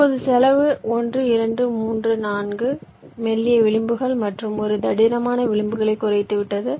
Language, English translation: Tamil, now you see the cost has dropped down: one, two, three, four thin edges and one thick edges